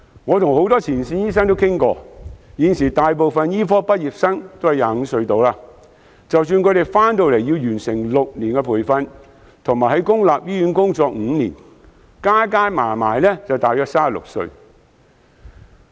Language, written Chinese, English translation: Cantonese, 我跟很多前線醫生討論過，現時大部分醫科畢業生年約25歲，即使他們來港後要完成6年培訓，並在公立醫院工作5年，屆時也不過是36歲左右。, I have met with a lot of frontline doctors and come to the following view after our discussions . Given that most of the medical students currently graduate at around 25 years old even if they are required to receive six years of training in Hong Kong and work in public hospitals for another five years after training they will still be young at the age of about 36